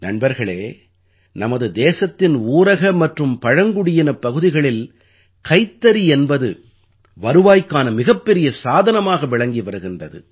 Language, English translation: Tamil, Friends, in the rural and tribal regions of our country, handloom is a major source of income